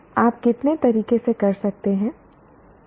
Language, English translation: Hindi, How many ways can you